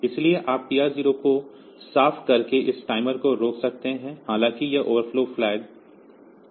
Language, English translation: Hindi, So, you can stop this timer by see clearing the TR 0, though it has not overflown